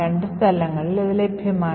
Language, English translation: Malayalam, So, both are available at these locations